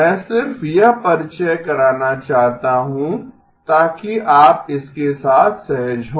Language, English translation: Hindi, I just want to introduce that so you are comfortable with it